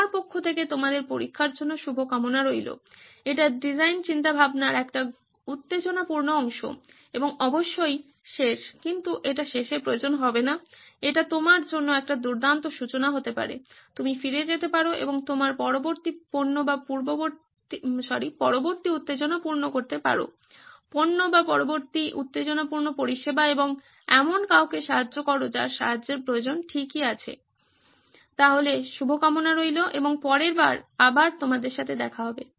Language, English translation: Bengali, So good luck with testing, it is an exciting portion of design thinking and of course the last one but it need not be the last one, it could be a great beginning for you, you can go back and make your next product or next exciting product or next exciting service and help somebody who needs the help okay, so good luck and see you next time bye